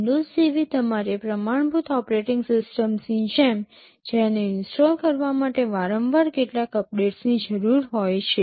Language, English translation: Gujarati, Just like your standard operating systems like windows that frequently needs some updates to be installed